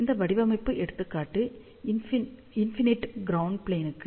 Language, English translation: Tamil, So, this design example is for infinite ground plane ok